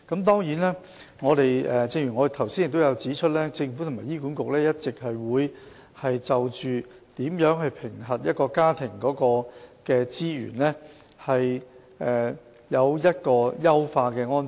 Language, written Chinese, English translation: Cantonese, 當然，正如我剛才指出，政府及醫管局會一直就如何評核一個家庭的財務資源，作出優化的安排。, Certainly as I mentioned just now the Government and HA will keep making enhanced arrangements on how to assess a familys financial resources